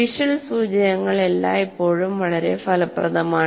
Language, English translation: Malayalam, Visual cues are always more effective